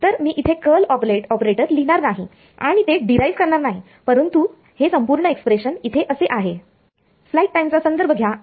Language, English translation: Marathi, So, I am not going to write down that curl operator and derive it, but this is the whole expression over here